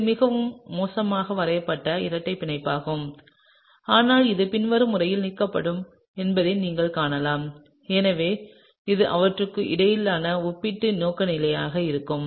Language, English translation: Tamil, It’s a very poorly drawn double bond, but you can see that it’s going to be in the following manner that is elimination will give you this